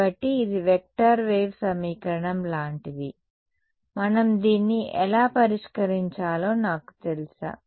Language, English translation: Telugu, So, its like a vector wave equation do I know how to solve this we do